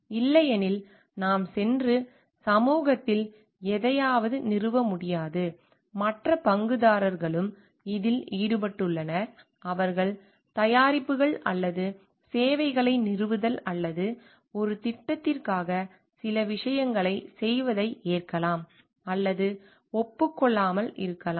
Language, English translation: Tamil, Otherwise, we just cannot go and install something in society, there are others stakeholders involved also, which may or may not agree to we doing certain things and in terms of like in installation commissioning of the products or services so, or for a project